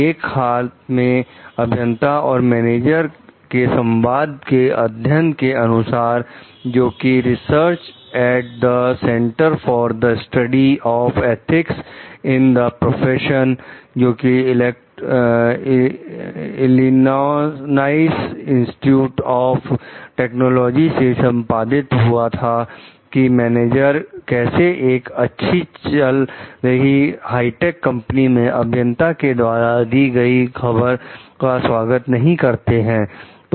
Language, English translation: Hindi, A recent study of communications between engineers and managers by research at the Center for the Study of Ethics in the Professions at the Illinois Institute of Technology reveals how managers respond to unwelcome news from in engineers in well run high tech companies